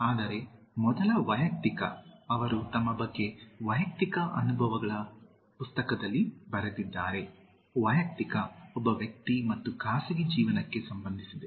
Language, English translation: Kannada, But the first personal, He has written about his personal experiences in the book: personal, nal, the last part is related to one individual and private life